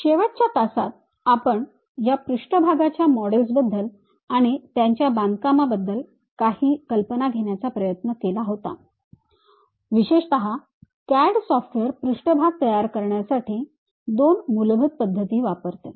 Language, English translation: Marathi, In the last class, we try to have some idea about this surface models and their construction especially CAD software uses two basic methods of creation of surfaces